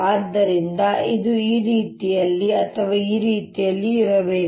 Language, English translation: Kannada, so it has to be either this way or this way